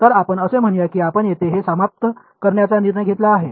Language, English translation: Marathi, So, let us say you decided to terminate it here